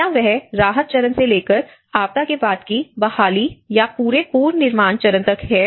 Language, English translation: Hindi, Is it from the relief stage to the post disaster recovery or the whole reconstruction stage